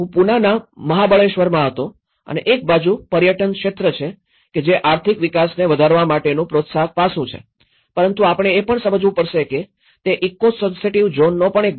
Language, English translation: Gujarati, I was in Mahabaleshwar in Pune and on one side the tourism segment is been a promotive aspect to raise economic growth but one has to understand it is also part of the eco sensitive zone